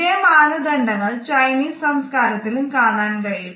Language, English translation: Malayalam, The same cultural norms are witnessed in the Chinese societies also